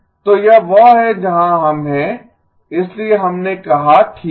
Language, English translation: Hindi, So this is where we are, so we said okay